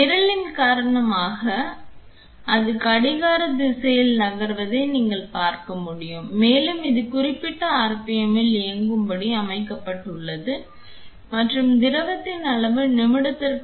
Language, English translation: Tamil, Like you can see it is moving in the anti clockwise direction because of the program and it has been set to run at certain RPM and the volume of fluid is around 0